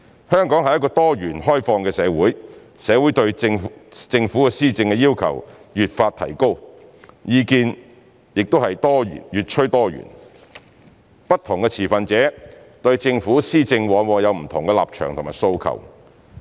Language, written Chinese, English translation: Cantonese, 香港是一個多元、開放的社會，社會對政府施政的要求越發提高，意見越趨多元，不同持份者對政府施政往往有不同的立場和訴求。, As Hong Kong is a pluralistic and open society thus there are increasing demands in community on the Governments governance whereas opinions have become more diversified . Different stakeholders with different stances will often have different demands on the Governments governance